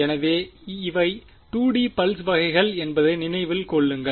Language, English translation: Tamil, So, remember that these are 2D pulses